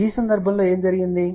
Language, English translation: Telugu, In this case what happened